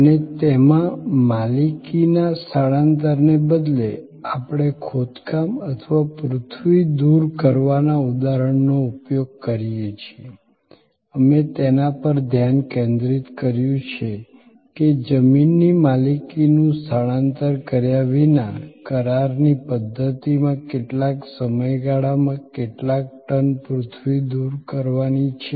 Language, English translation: Gujarati, And in that, instead of transfer of ownership we use the example of excavation or earth removal, we focused on how much, how many tonnes of earth are to be removed over what span of time in a contractual fashion without the transfer of ownership of the machines, where the machines supplier now, supplies a service for earth removal